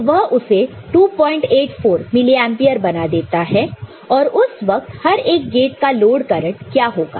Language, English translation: Hindi, 84 milli ampere right and at that time what will be the load current for each of the gates